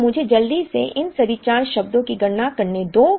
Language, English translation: Hindi, So, let me quickly calculate all these 4 terms